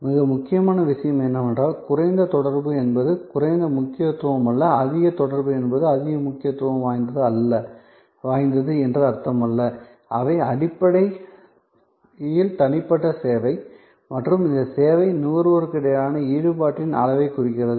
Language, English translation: Tamil, So, most important is that low contact does not mean low importance or high contact does not necessarily mean high importance, they are basically signifying the level of engagement between the service personal and this service consumer